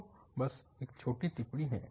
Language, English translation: Hindi, So, just a short remark